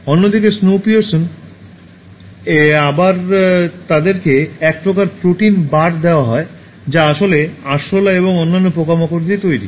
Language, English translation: Bengali, Whereas, in Snowpiercer again they are given some kind of protein bars which are actually made of cockroaches and other insects